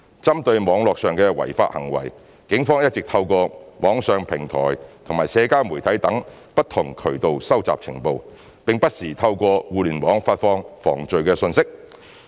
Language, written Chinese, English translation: Cantonese, 針對網絡上的違法行為，警方一直透過網上平台及社交媒體等不同渠道收集情報，並不時透過互聯網發放防罪信息。, The Police have all along gathered intelligence for criminal offences committed in the cyber world through various channels including online platforms and social media and would disseminate crime prevention messages via the Internet